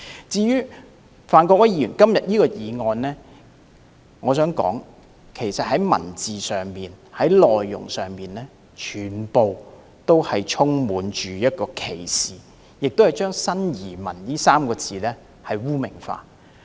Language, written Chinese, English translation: Cantonese, 至於范國威議員今天提出的議案，我想指出當中的文字或內容充滿歧視，亦把"新移民"這3個字污名化。, As regards the motion proposed by Mr Gary FAN today I wish to point out that its wording or contents are filled with discrimination and stigmatization of new arrivals